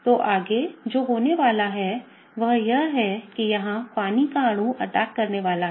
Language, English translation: Hindi, So, what is going to happen next is that, the water molecule here is going to attack